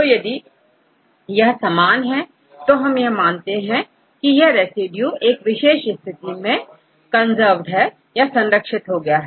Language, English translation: Hindi, So, if it is same then we call that this residue is conserved at the particular position